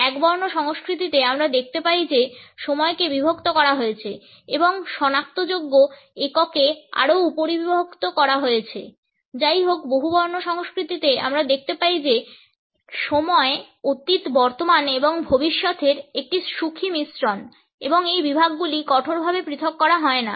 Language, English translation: Bengali, In the monochronic cultures we find that time is divided and further subdivided into identifiable units; however, in polychronic cultures we find that time is a happy mixture of past present and future and these segments are not strictly segregated